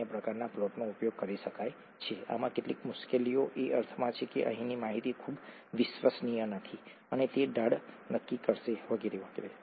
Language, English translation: Gujarati, Other types of plots can be used, there are some difficulties with this in the sense that the data here is not very reliable and it will determine the slope and so on